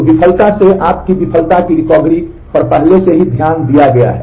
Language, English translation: Hindi, So, your failure recovery from the failure is already taken care of